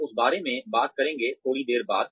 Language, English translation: Hindi, We will talk about that, a little later